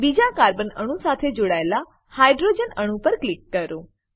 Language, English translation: Gujarati, Click on the hydrogen atom attached to the second carbon atom